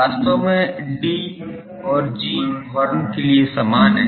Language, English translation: Hindi, Actually D and G are same for horn